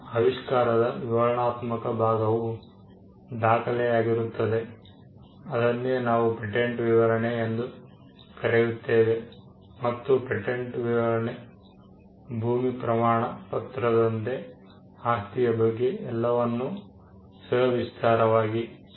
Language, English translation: Kannada, The descriptive part of the invention is contained in a document what we call the patent specification and the patent specification much like the land deed would convey the details about the property and would end with something what we call the claims